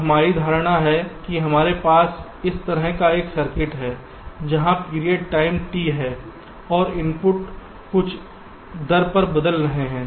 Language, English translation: Hindi, now our assumption is that we have a circuit like this where there is a period time, t, and the inputs are changing at some rate